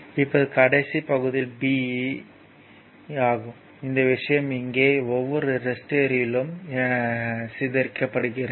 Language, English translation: Tamil, Now, now last b part is your part b, this thing the power dissipated in each resistor here